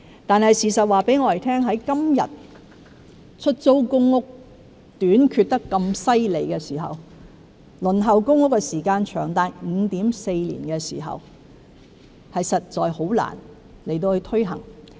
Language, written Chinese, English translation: Cantonese, 但是，事實告訴我們，在今天出租公屋數目嚴重短缺、輪候公屋的時間長達 5.4 年的時候，實在難以推行。, However the facts tell us that there is currently a serious shortage of PRH flats and the waiting time for PRH allocation can be as long as 5.4 years; it is thus really difficult to introduce the proposal